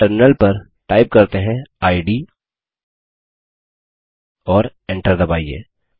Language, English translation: Hindi, At the terminal, let us type id and press Enter